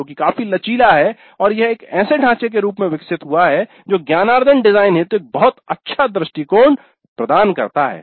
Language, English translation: Hindi, It's quite flexible and it has evolved into a framework that facilitates a very good approach to designing the learning